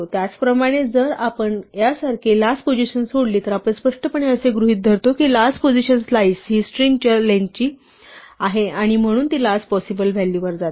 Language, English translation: Marathi, Similarly, if we leave out the last position like this, then we implicitly assume that the last position the slice is the length of this list of the string and so it goes to the last possible value